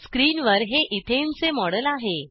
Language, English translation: Marathi, This is a model of ethane on screen